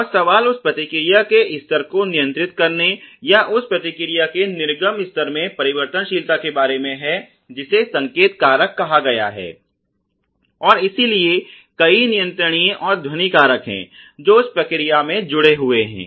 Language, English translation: Hindi, And the question is about controlling the level of that response or the variability in the output level of that response you know given the signal factor and so there are many controllable and noise factors which are associated in that process which would do all this